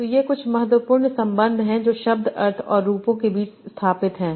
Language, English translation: Hindi, So, these are some very important relations that are established between word meanings and forms